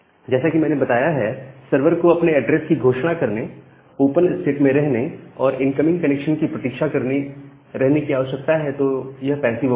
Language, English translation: Hindi, Now, as I have mentioned that the server needs to announce it address remain in the open state and waits for any incoming connection, so that is the kind of passive open